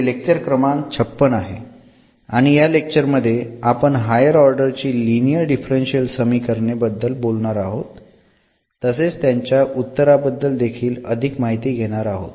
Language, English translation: Marathi, So, welcome back and this is lecture number 56 we will be talking about linear differential equations of higher order and we will go through the solution of such differential equations